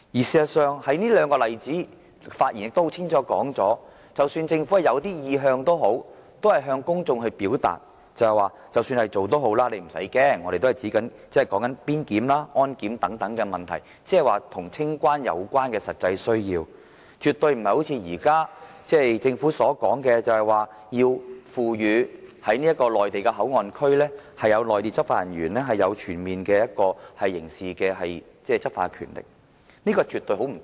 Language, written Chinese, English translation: Cantonese, 事實上，這兩個例子很清楚指出，儘管政府有意向，但當局還是向公眾表達，意思是要市民不用害怕，即使這樣也好，所說的只是邊檢、安檢等問題，是與清關有關的實際需要，絕對不是政府今天所說，要賦予內地口岸區執法人員擁有全面刑事執法權，說兩者絕對不同。, In fact the two cases show clearly that even if the Government might already have some sort of intention at that time the only thing it actually did was just to tell the public that even when co - location clearance was implemented the arrangement would only be about actual operational issues like immigration and security checks and clearance so people did not need to worry . In other words in any case it was never said that the eventual arrangement would be something like the Governments present proposal which gives law enforcement personnel in the Mainland Port Area full criminal jurisdiction . The two scenarios are entirely different